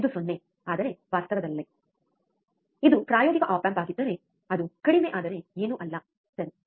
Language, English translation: Kannada, This also 0, but in reality, if it is practical op amp, it would be nothing but low, alright